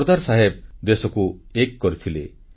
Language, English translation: Odia, Sardar Saheb unified the country